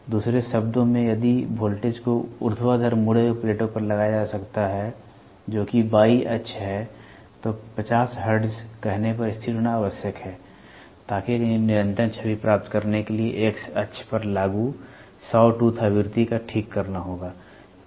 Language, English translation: Hindi, In other words, if the voltage to be applied to the vertical deflecting plates that is Y axis is required to be fixed at say 50 hertz, in order to obtain a continuous image, the saw tooth frequency applied to X axis has to be fixed at 60 hertz, otherwise, this would distort the images